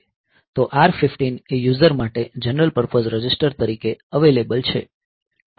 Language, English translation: Gujarati, So, R 15 is available to the user for as a general purpose register as well